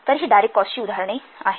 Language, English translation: Marathi, So, these are examples of direct cost here